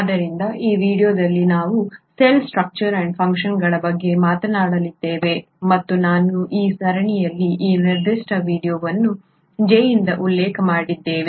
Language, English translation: Kannada, So in this video we are going to talk about cell structure and function and I would like to start this particular video in this series by quoting J